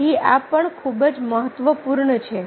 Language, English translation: Gujarati, so this is also very, very important